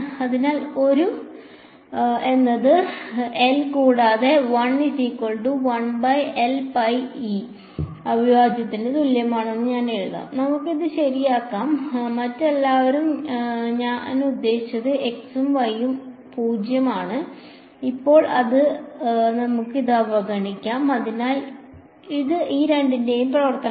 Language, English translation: Malayalam, So, I will write 1 is equal to 1 by 4 pi epsilon naught right integral over L and rho of, let us just let us make this r prime right d y prime and all others I mean x and y are 0, x prime y prime also we can ignore it for now so it is a function of these two variables